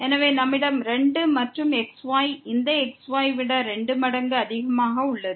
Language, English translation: Tamil, So, we have the 2 and the is greater than this 2 times the and this is greater than the